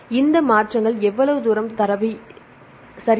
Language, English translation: Tamil, So, how far the changes happened right